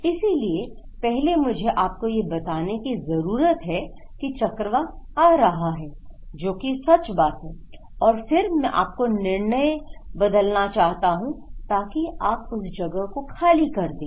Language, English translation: Hindi, So, first I need to tell you that cyclone is coming and that is true and I want to change your decision and then I want you to evacuate from that place okay